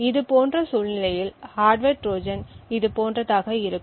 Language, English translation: Tamil, The hardware Trojan in such a scenario would look something like this